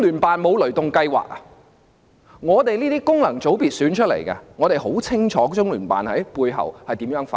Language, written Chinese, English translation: Cantonese, 我們這些由功能界別選出的議員很清楚中聯辦如何在背後發功。, As Members returned by functional sectors we know too well how LOCPG exerts its influence behind the scene